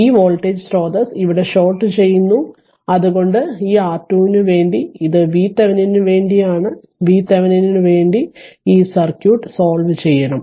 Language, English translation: Malayalam, So, it is shorted this is for R Thevenin and this is for your what you call that your V thevenin, we have to solve this circuit for V thevenin